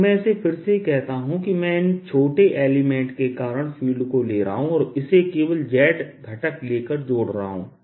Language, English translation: Hindi, ok, so let me say it again: i am taking the field, due to these small elements, and adding it up, taking only the z component